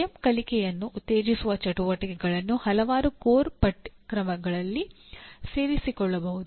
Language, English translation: Kannada, Activities that promote self learning can be incorporated in several core courses